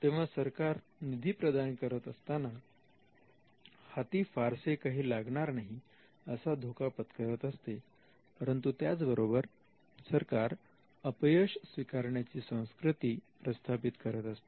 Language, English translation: Marathi, So, the state by its funding takes the risk that they could be nothing that comes out of this, but at the same time the state sets the culture of embracing failure